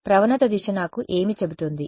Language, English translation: Telugu, What will the gradient direction tell me